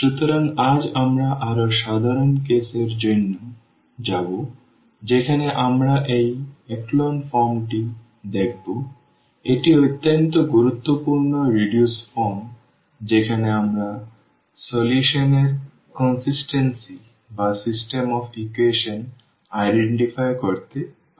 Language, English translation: Bengali, So, today we will go for more general case where we will see these echelon form, a very important reduced form where we can identify about the consistency of the solution or the system of equations